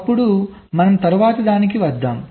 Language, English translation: Telugu, ok, then let us come to the next one